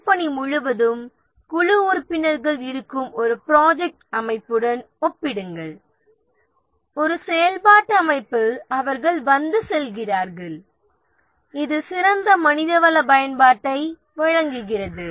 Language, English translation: Tamil, Compared to a project organization where the team members are there throughout the project in a functional organization they come and go and this provides better manpower utilization